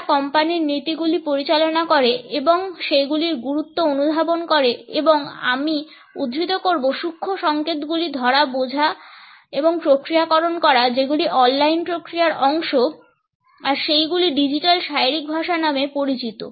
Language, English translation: Bengali, The people, who manage company policies, started to realise the significance of and I quote “capturing, understanding and processing the subtle signals” that are part of the online processes and they came to be known as digital body language